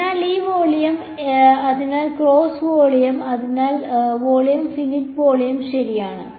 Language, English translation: Malayalam, So, this volume, so the closed volume, so the volume finite volume right